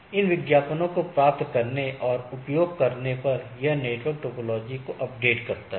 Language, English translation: Hindi, So, by looking at this advertisement or receiving this or using this advertisement, it makes the network topology